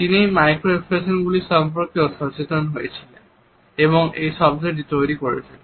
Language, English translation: Bengali, He also became conscious of these micro expressions and he coined the term